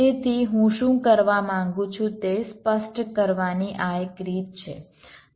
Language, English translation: Gujarati, so this is one way of specifying what i want to do